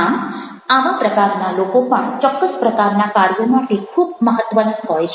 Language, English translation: Gujarati, so these people are also very important for certain kind of job